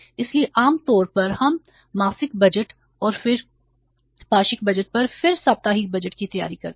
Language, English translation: Hindi, So normally we prepare for monthly budget then fortnightly budget and then weekly budget